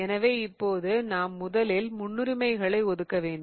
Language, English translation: Tamil, So, what we are going to do now is first assign priorities